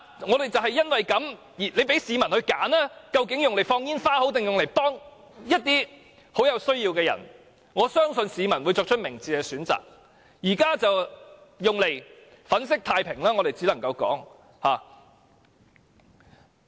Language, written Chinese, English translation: Cantonese, 如果政府讓市民選擇，把這些金錢用作放煙花還是幫助一些極有需要的人士，我相信市民會作出明智的選擇，但現在卻只能說是把這些錢用作粉飾太平。, If Hong Kong people are allowed to make a choice between fireworks display and assistance to people in dire straits I am sure they will make a wise choice . But now we can only say that the money is used for whitewashing work